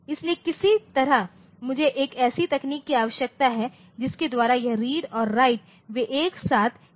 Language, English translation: Hindi, So, somehow I need a technique by which this read and write they are done simultaneously, ok